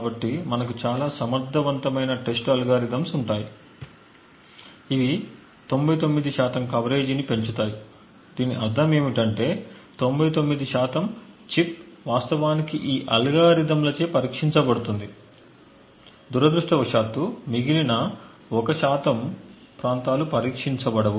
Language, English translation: Telugu, So we would have a lot of very efficient or testing algorithms which would a boost off a coverage of say 99 percent, what this means is that 99 percent of the chip is actually tested by these algorithms, unfortunately the remaining 1 percent is the areas which are not tested